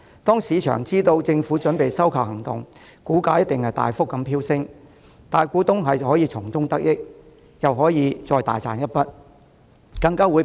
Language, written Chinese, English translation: Cantonese, 當市場得悉政府準備收購，領展股價定必大幅飆升，大股東又可從中得益，大賺一筆。, As soon as the market got wind of the Governments acquisition plan the share price of Link REIT will skyrocket lavishing a windfall on the major shareholders who would stand to benefit again